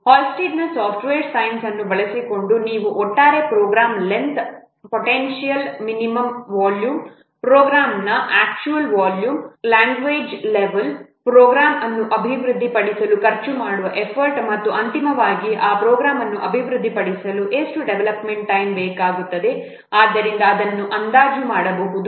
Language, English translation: Kannada, Using Hullstead software science, you can derive expressions for estimating the overall program length, the potential minimum volume, the actual volume of the program, the language level of the program, the effort that will be spent to develop the program, and finally how much development time will be required to develop that program